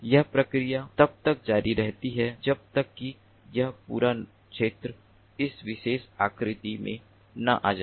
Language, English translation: Hindi, the process continues until the entire area is covered, as in this particular figure